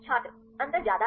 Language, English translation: Hindi, Difference is high